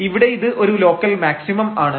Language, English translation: Malayalam, So, this is a local minimum